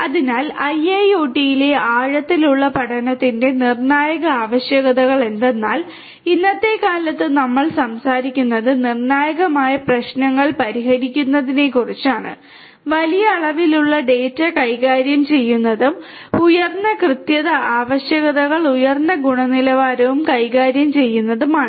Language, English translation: Malayalam, So, the critical requirements of deep learning in IIoT are that nowadays we are talking about solving critical issues such as, dealing with large quantity of data and also dealing with higher accuracy requirements higher quality and so on